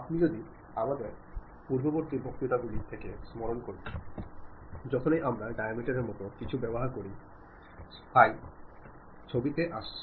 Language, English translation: Bengali, If you recall from our earlier lectures, whenever we use something like diameter, the symbol phi comes into picture